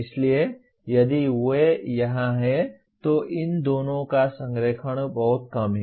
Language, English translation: Hindi, So that is why the alignment of these two is lot less than if they are here